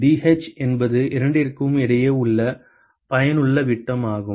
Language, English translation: Tamil, Dh is the effective diameter between the two